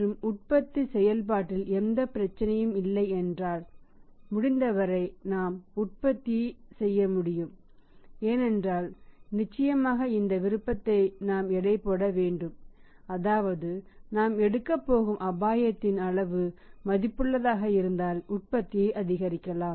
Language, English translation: Tamil, But if there is no problem in the production process and we can produce as much as possible then certainly we should rate this option that if the risk is wroth taking or the quantum of the risk we are going to take